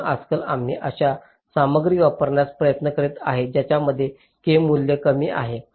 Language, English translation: Marathi, so nowadays we try to use some material ah which has a lower value of k